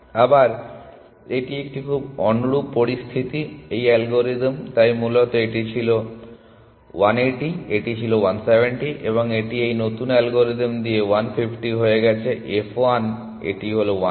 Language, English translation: Bengali, Again this is a very similar situation, this algorithm, so originally this was 180, this was 170 and this became 150 with this new algorithm f 1 this is 130 and this is 120